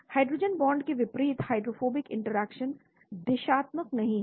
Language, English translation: Hindi, Unlike hydrogen bonds, the hydrophobic interactions are not a directional